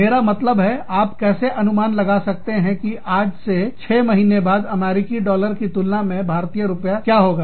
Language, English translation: Hindi, I mean, how can you predict, how much, what the Indian rupee will be, in terms of, the US dollar, say six months from now